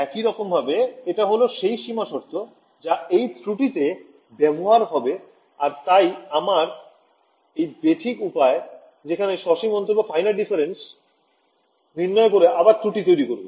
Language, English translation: Bengali, As it is this is the boundary condition going to introduce the error then on top of my imperfect way of doing finite differences will give you further error